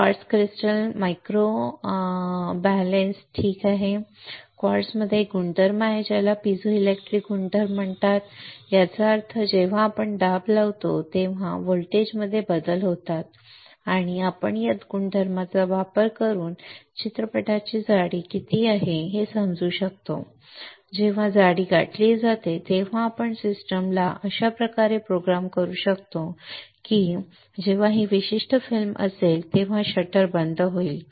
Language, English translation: Marathi, Quartz crystal microbalance alright, quartz has a property it is called piezoelectric property; that means, when we apply pressure there is a change in voltage we can use this property to understand what is the thickness of the film and when the thickness is reached we can program the system such that the shutter will get closed when this particular film is film thickness is reach of or the film of our desired thickness is reached the shutter will get close right